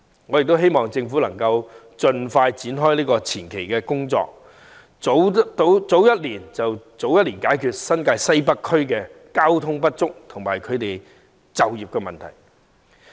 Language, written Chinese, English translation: Cantonese, 我希望政府能夠盡快展開前期工作，早一年開始便可早一年解決新界西北交通配套不足和居民就業的問題。, I hope the Government will commence the preliminary works as soon as possible . If the project can commence a year earlier the inadequacy of ancillary transport facilities in Northwest New Territories and residents employment issues can be addressed a year earlier